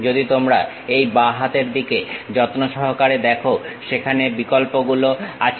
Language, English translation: Bengali, If you are carefully looking at on this left hand side, there are options